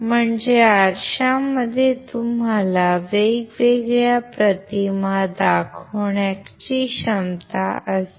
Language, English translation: Marathi, That means, the mirror has a capacity to show you different images